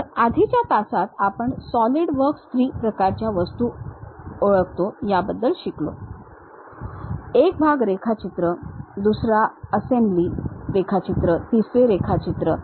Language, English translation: Marathi, So, in the earlier class, we have learned about Solidworks identifies 3 kind of objects one is part drawing, other one is assembly drawing, other one is drawings